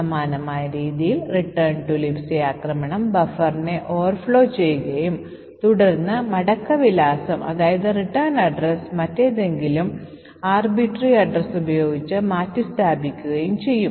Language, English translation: Malayalam, In a similar way the return to LibC attack would overflow the buffer and then replace the return address with some other arbitrary address